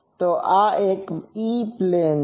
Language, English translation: Gujarati, So, this is E plane